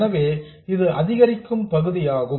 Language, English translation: Tamil, So, this is the incremental part